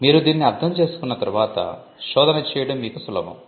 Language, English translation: Telugu, Once you understand this, it is easier for you to do the search